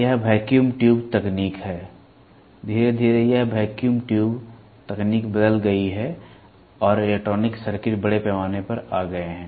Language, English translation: Hindi, This is vacuum tube technology; slowly this vacuum tube technology is changed and the electronic circuits have come up in a big way